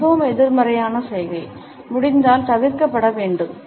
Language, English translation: Tamil, This is a very negative gesture that should be avoided if possible